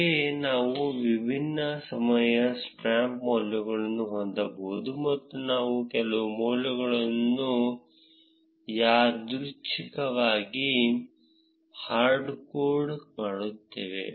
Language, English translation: Kannada, Similarly, we can have different time stamp values and we will just randomly hard code some of the values